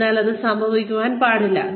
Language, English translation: Malayalam, So, that should not happen